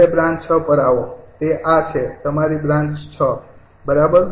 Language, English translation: Gujarati, that is, this is your branch six, this is your branch six, right